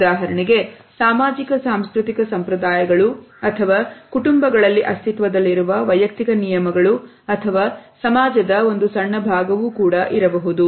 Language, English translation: Kannada, There may be for example socio cultural conventions or individual rules running within families or a smaller segments of society